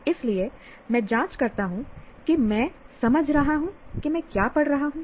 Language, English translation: Hindi, So I check that I understand what I am reading